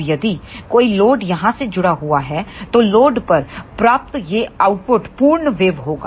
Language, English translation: Hindi, Now, if a load is connected somewhere here then this output achieved at the load will be a complete waveform